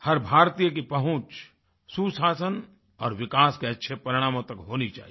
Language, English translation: Hindi, Every Indian should have access to good governance and positive results of development